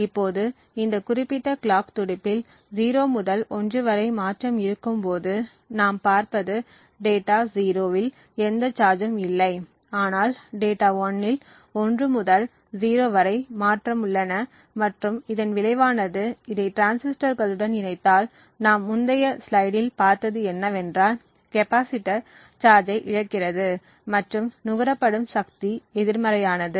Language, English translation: Tamil, Now in this particular clock pulse when there is a transition from 0 to 1 in this particular clock pulse what we see is that there is no change in data 0 but data 1 transitions from 1 to 0 and as a result if we connect this to the transistors what we have seen in the previous slide, the capacitor would be discharged and the power consumed would be actually negative because of the discharging of the capacitor